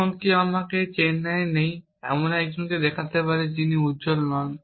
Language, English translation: Bengali, shows me 1 person not in Chennai off course, who is not bright